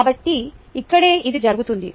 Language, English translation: Telugu, so this is what is being done here